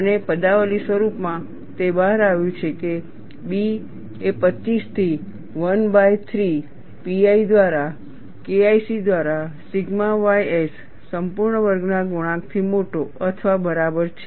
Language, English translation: Gujarati, And in an expression form, it turns out to be, B is greater than or equal to 25 into 1 by 3 pi multiplied by K1C by sigma y s whole squared